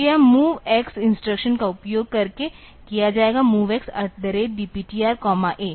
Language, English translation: Hindi, So, that will be done using this MOV X instruction; MOV X at the rate DPTR comma A